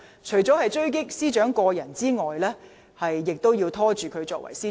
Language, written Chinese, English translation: Cantonese, 除了要狙擊司長個人外，亦要拖延她的職務。, Apart from sniping at the Secretary for Justice herself they are also intent on hindering her work